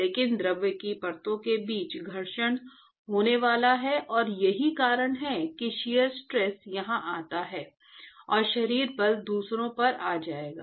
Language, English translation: Hindi, But there is going to be friction between fluid layers and that is why the shear stress comes here and body forces will come on the other